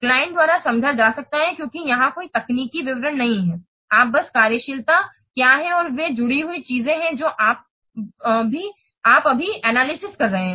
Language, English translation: Hindi, Understandable by the client because here no technical details are there, you just what are the functionalities and they are associated things you are just analyzing